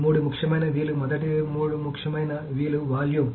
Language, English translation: Telugu, So the three important V's is first three important Vs is volume